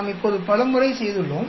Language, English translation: Tamil, We have done it now many times